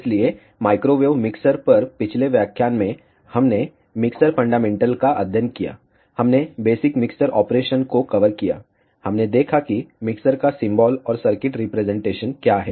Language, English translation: Hindi, So, in the last lecture on microwave mixers, we studied mixer fundamentals, we covered the basic mixer operation, we saw what is the symbol and circuit representation of a mixer